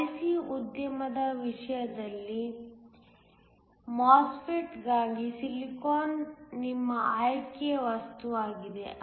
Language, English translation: Kannada, In the case of the IC industry, silicon is your material of choice for the MOSFET